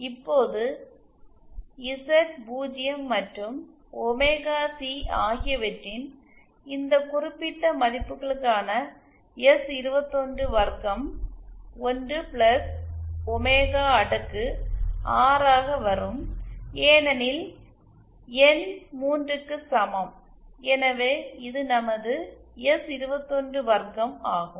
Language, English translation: Tamil, Now S212 for this particular values of Z0 and omega C will become 1 + omega raised to 6 because N equal to 3, so this is our S212